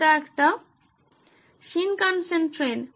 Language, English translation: Bengali, Come on it is a Shinkansen train